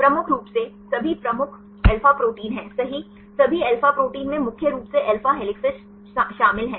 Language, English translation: Hindi, The major the major one that is all alpha proteins right all alpha protein contains mainly alpha helices